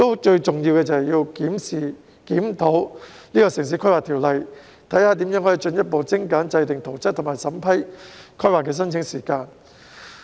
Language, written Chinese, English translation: Cantonese, 最重要的是檢視和檢討《城市規劃條例》，研究如何可進一步縮短制訂圖則及審批規劃申請的時間。, Most importantly the Town Planning Ordinance has to be reviewed to explore the possibility of further reducing the time required for making statutory plans and vetting planning applications